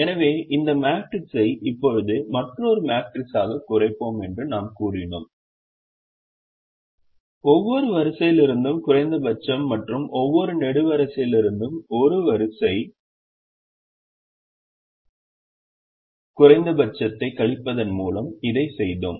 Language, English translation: Tamil, we also observed that there are no zero costs in this matrix, so we said we will now reduce this matrix to another matrix, and we did that by subtracting the row minimum from every row and column minimum from every column and got this resultant matrix